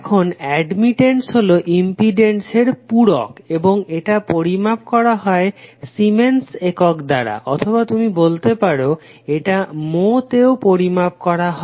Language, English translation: Bengali, Now admittance is nothing but reciprocal of impedance and it is measured in siemens or you can say it is also measured in mho